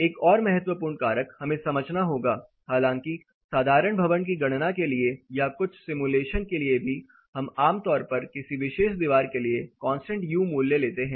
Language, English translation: Hindi, Another important factor we have to understand; though for simple building calculations are even some of the simulations we typically take a constant U value for a particular wall